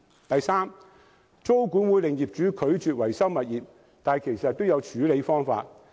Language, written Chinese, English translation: Cantonese, 第三，租管或會令業主拒絕維修物業，但其實都有處理方法。, Thirdly with tenancy control owners may refuse to maintain their properties . But there are still ways to deal with the problem